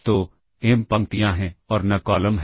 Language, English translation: Hindi, So, there are m rows and there are n columns